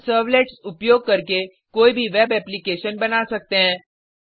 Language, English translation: Hindi, We can create any web application using servlets